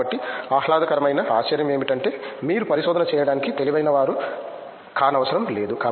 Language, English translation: Telugu, So, the pleasant surprise is that you don’t have to be brilliant to do a research